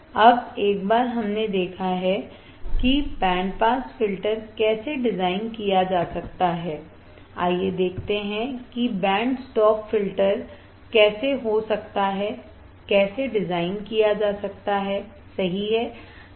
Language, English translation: Hindi, Now, once we have seen how the band pass filter can be designed, let us see how band stop filter can be designed, and what are band stop filters, what are band reject filters right